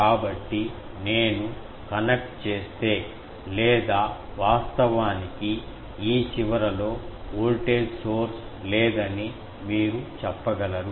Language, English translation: Telugu, So, if I connect or you can say that actually in this end, there is no voltage source